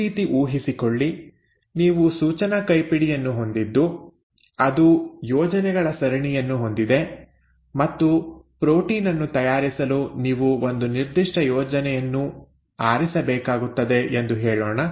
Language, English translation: Kannada, You know, imagine like this, you have a instruction manual which has got a series of recipes and you need to pick out one specific recipe to prepare, let us say, a protein